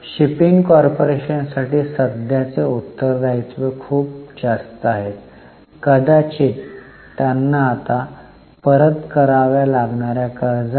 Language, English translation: Marathi, Current liabilities are very high for shipping corporation, maybe because of the loans which they have to repay now